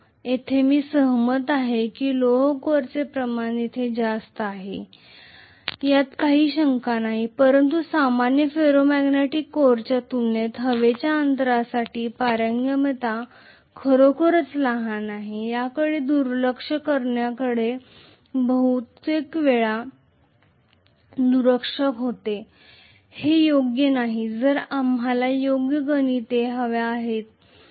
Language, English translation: Marathi, I agree that the iron core volume is high here, no doubt but because of the fact that the permeability is really really small for the air gap as compared to a normal Ferro magnetic core most of the times we tend to ignore which is not correct if we want correct calculations